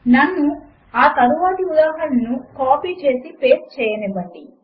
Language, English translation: Telugu, Let me copy and paste the next example